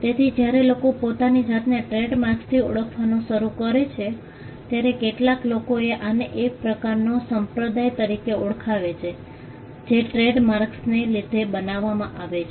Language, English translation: Gujarati, So, when people start identifying themselves with trademarks, some people have referred to this as a kind of a cult that gets created because of the trademarks themselves